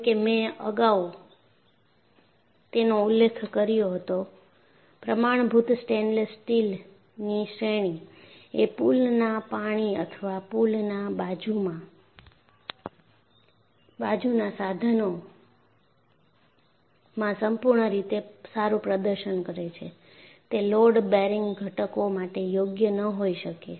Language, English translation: Gujarati, As, I mentioned earlier, the standard stainless steel grades, that perform perfectly well in pool water or poolside equipment, may not be suitable for load bearing components